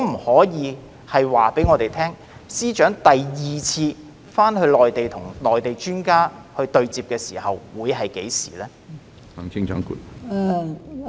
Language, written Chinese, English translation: Cantonese, 可否告訴我們，司長何時會再到內地與內地專家進行第二次對接會議？, Can you tell us when the Chief Secretary will go to the Mainland again for a second meeting with Mainland experts?